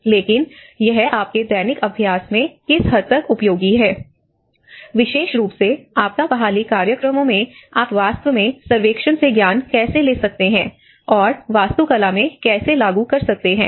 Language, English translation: Hindi, But then to what extent it is useful in your daily practice and especially in the disaster recovery programs to how you can actually take away the knowledge from the surveying and how you can implement in the architectural practice